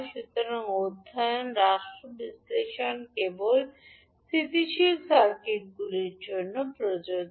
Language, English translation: Bengali, So the study state analysis is only applicable to the stable circuits